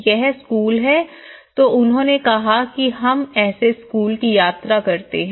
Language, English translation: Hindi, this is school then they said yeah this is how we travel to the school